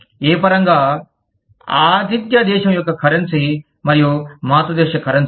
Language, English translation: Telugu, In what terms, the currency of the host country, and the parent country, will